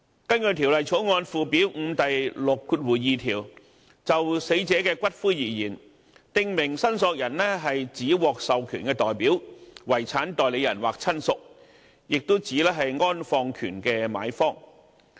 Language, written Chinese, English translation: Cantonese, 根據《條例草案》附表5第62條，"訂明申索人就死者的骨灰而言，指獲授權代表、遺產代理人或親屬，亦指安放權的買方"。, Under section 62 of Schedule 5 to the Bill a prescribed claimant in relation to the ashes of a deceased person means an authorized representative; a personal representative or relative; or the purchaser of the interment right